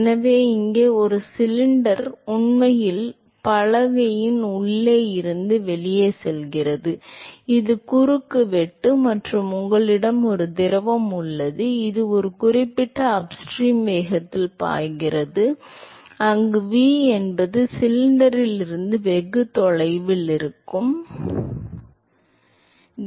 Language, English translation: Tamil, So, here is a cylinder which is actually going inside to outside of the board and this is the cross section and you have a fluid which is flowing at a certain upstream velocity where V is the velocity which is very far away from the cylinder